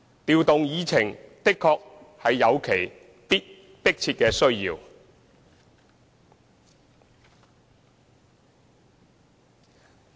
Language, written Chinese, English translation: Cantonese, 調動議程確實有其迫切的需要。, Indeed there is an urgent need to rearrange the order of agenda items